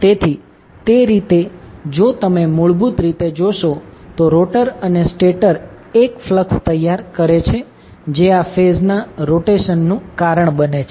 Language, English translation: Gujarati, So, in that way if you see basically, the rotor and stator will create 1 flux which will cause the rotation of these phases